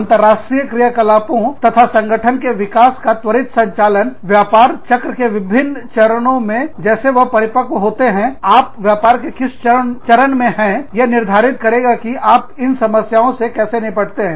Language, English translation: Hindi, Rapid start up of international operations and organization development, as they mature through, different stages of the business cycle, where the stage, that you are at, will also determine, how you deal with these challenges